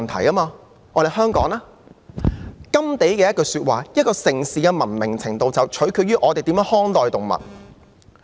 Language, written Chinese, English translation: Cantonese, 甘地的一句說話是，"一個城市的文明程度取決於人們如何看待動物"。, GANDHI said The greatness of a nation and its moral progress can be judged by the way its animals are treated